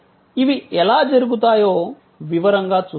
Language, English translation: Telugu, We will see in detail how these will be done